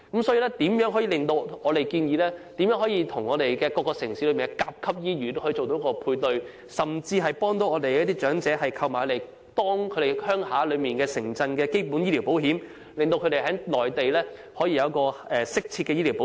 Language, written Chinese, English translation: Cantonese, 所以，我們建議當局與各城市的甲級醫院作出配對，甚至幫助長者購買家鄉城鎮的基本醫療保險，讓他們在內地可以得到適切的醫療保障。, Therefore we propose that the authorities should match up with Grade - A hospitals in various cities or even assist elderly people in acquiring basic medical insurance covering their hometown cities so as to enable them to receive appropriate medical protection on the Mainland